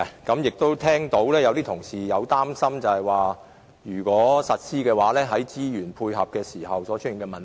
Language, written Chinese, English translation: Cantonese, 我剛才聽到有同事表示擔心，如果實施這項政策，在資源方面會出現問題。, Just now I heard some Members express a worry the worry that the implementation of this policy may give rise to resource problems